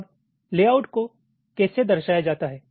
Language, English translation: Hindi, ok, now how are layouts represented